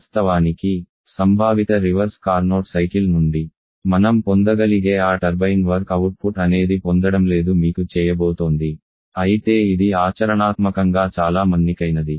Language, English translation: Telugu, Of course that turbine going to work output that we could have got from that conceptual reverse Carnot cycle that you are not getting but still it is much more during practice